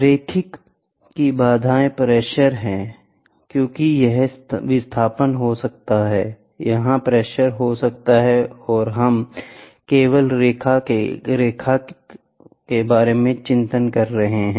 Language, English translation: Hindi, Linearity constraints are as the pressure this can be displacement, this can be pressure, ok and we are only worried about the linearity, ok